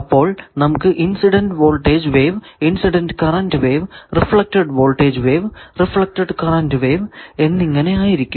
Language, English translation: Malayalam, So, we will have to find the incident voltage wave, incident current wave, reflected voltage wave, etcetera